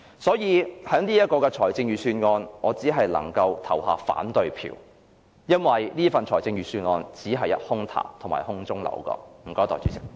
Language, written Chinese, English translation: Cantonese, 所以，對於這份預算案，我只能投反對票，因為這份預算案只是空談和空中樓閣。, Therefore I can only vote against this Budget because it is merely empty talk and castles in the air